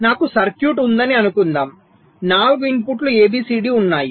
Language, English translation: Telugu, so we take a four input circuit with input a, b, c and d